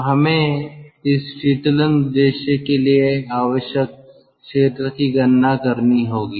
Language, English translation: Hindi, so we have to calculate the area needed for this cooling purpose